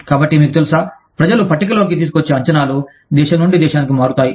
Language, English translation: Telugu, So, you know, the expectations, people bring to the table, change from country to country